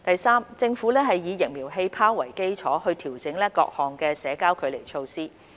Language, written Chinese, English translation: Cantonese, 三政府以"疫苗氣泡"為基礎，調整各項社交距離措施。, 3 The Government has adjusted various social distancing measures with vaccine bubble as the basis